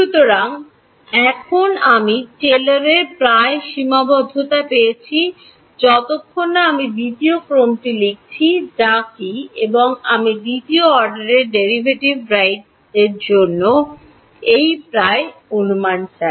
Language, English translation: Bengali, So, now I have got Taylor's approximation up to I have written at up to the second order what is and I want an approximation for what the second order derivative right